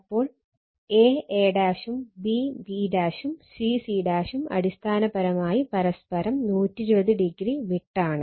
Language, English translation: Malayalam, Similarly, a a dash, b b dash and c c dash basically physically they are 120 degree apart right